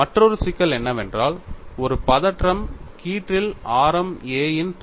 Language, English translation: Tamil, And another problem is whole of radius a in a tension strip